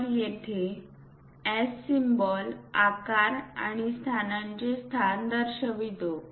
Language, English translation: Marathi, So, here size represents S symbol and positions location